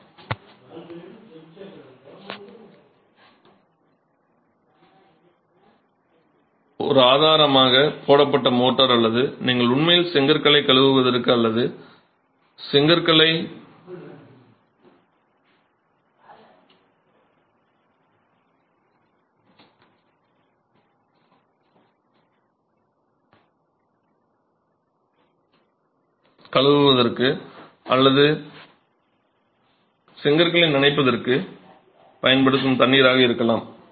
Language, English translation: Tamil, So, one source could be the freshly laid motor or the water that you use to actually wash the bricks or wet the bricks before construction